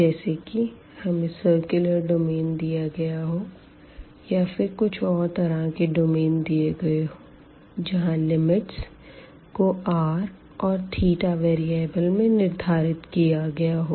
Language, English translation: Hindi, So, we have for example, the circular domain or we have some other domain where the boundaries are prescribed in terms of this variable here r and n theta